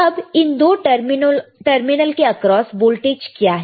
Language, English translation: Hindi, So now, what is the voltage across these two terminal